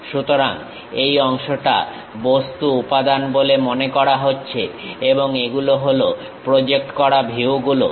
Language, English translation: Bengali, So, this part supposed to be material element and these are projected views